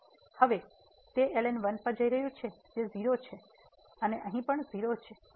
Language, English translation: Gujarati, So, now, this is go going to that is 0 and here also 0